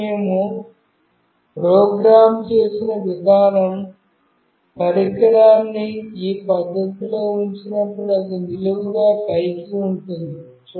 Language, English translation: Telugu, Now, the way we have made the program, when we place the device in this fashion meaning it is vertically up